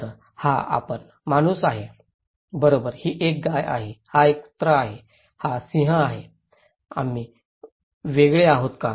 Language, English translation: Marathi, Well, this is we human being, right and this is a cow, this is dog, this is lion, are we different